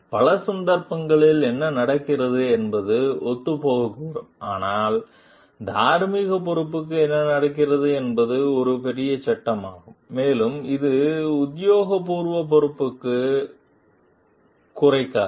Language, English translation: Tamil, So, what happens in many cases this may coincide, but what happens moral responsibility is a bigger frame and it does not reduce to official responsibility